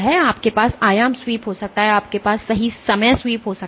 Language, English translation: Hindi, So, you can have amplitude sweep, you can have time sweep right